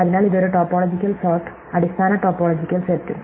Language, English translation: Malayalam, So, this is just topological sort, the basic topology set is also there